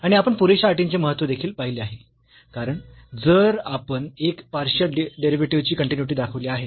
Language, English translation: Marathi, And, we have also observed the sufficient the importance of sufficient conditions because if we show that the partial the continuity of one of the partial derivatives